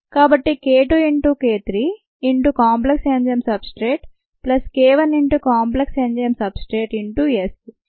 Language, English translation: Telugu, so k two into k three into enzyme substrate complex, plus k one into enzyme substrate complex into s and ah